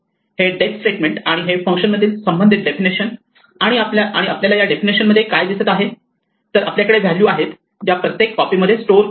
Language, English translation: Marathi, These def statements and these correspond to definition in the functions and what we will see is that inside these definitions we will have values which are stored in each copy of the heap